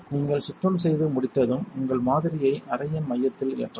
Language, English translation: Tamil, Once you have finished cleaning, you may load your sample into the centre of the chamber